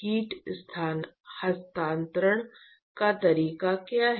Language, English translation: Hindi, What is the mode of heat transfer